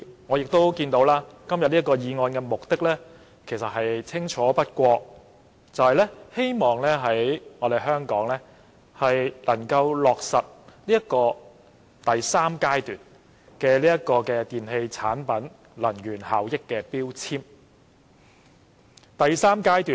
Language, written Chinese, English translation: Cantonese, 我亦看到今天這項擬議決議案的目的清楚不過，就是希望能在香港落實電器產品的強制性能源效益標籤計劃第三階段。, As I can see the purpose of this proposed resolution today cannot be clearer . It is to implement the third phase of the Mandatory Energy Efficiency Labelling Scheme MEELS for electrical products in Hong Kong